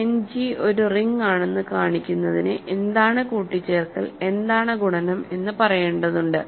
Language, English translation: Malayalam, So, in order to show that end G is a ring we need to say what is addition, what is multiplication